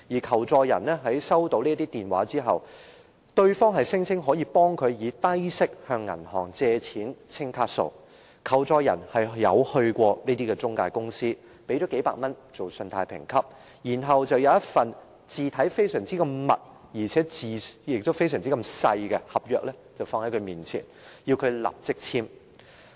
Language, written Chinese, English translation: Cantonese, 求助人表示在收到這些電話後，對方聲稱可代他向銀行低息借錢清還卡數，求助人曾到過中介公司，支付數百元作信貸評級，然後，公司給他一份文字很小且排列得密密麻麻的合約，要求他立即簽署。, People seeking assistance said that when they picked up those calls the callers would tell them low - interest loans could be obtained from banks to settle their outstanding credit card payments . A victim had been to the intermediary companies and paid a few hundred dollars for a credit check . After that the company gave him a contract printed tightly in very small fonts and required him to sign it immediately